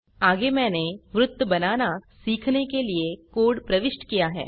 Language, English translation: Hindi, Next I have entered the code to learn to draw a circle